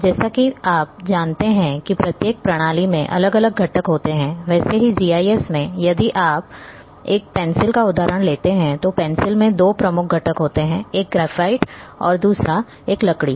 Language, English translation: Hindi, As you know each and every system having different components, so GIS if you take say example of a pencil then pencil having two major components; one is your graphite another one is wood